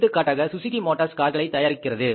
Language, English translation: Tamil, For example, Suzuki Motors manufacturing cars